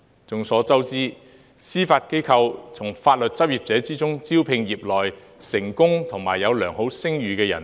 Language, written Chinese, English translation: Cantonese, 眾所周知，司法機構會從法律執業者中，招聘業內成功及有良好聲譽的人士。, As we all know the Judiciary will recruit successful and renowned legal practitioners from the legal profession